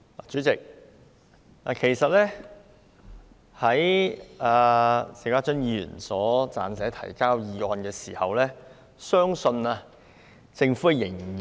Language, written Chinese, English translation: Cantonese, 主席，在邵家臻議員提交這項議案時，相信政府仍未如此......, President I think that when Mr SHIU Ka - chun submitted this motion the Government had not yet been so or let me put it this way